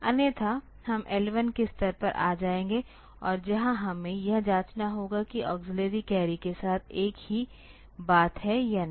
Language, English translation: Hindi, Otherwise, we will come to the level L 1 and where we need to check whether the same thing with the auxiliary carry